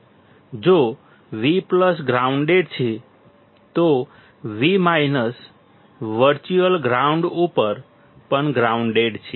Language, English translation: Gujarati, If V plus is grounded, then V minus is also grounded at virtual ground